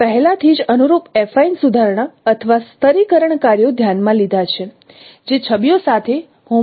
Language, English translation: Gujarati, So already we have considered the corresponding, no, affine rectification or stratification tasks that is involved in the using the homography with the images